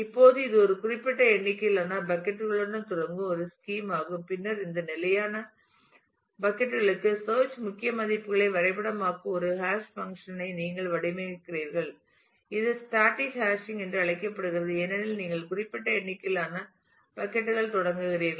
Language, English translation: Tamil, Now, this is this kind of a scheme where you start with a fixed number of buckets and then you design a hashing function which maps the search key values to this fixed set of buckets is known as a static hashing it is static because you start with a fixed number of buckets